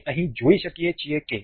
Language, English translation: Gujarati, We can see here